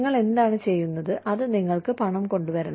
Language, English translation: Malayalam, What you are doing, that should get you, this money